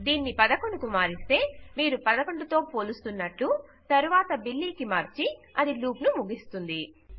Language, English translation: Telugu, If you change this to 11, youll compare it to 11, then change it to Billy and then itll end the loop